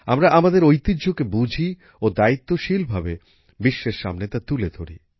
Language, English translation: Bengali, Let us not only embrace our heritage, but also present it responsibly to the world